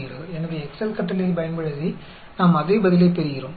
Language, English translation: Tamil, So, we can use the Excel function also to get the same answer